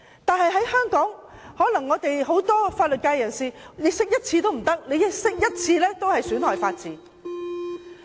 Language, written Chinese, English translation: Cantonese, 但是，香港很多法律界人士卻認為釋法一次也不行，釋法一次也是損害法治。, Nevertheless many members of the legal profession think that the Basic Law should never be interpreted because any interpretation of the Basic Law will undermine the rule of law